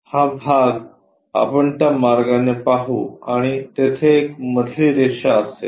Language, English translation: Marathi, This part we will observe it in that way and there will be a middle line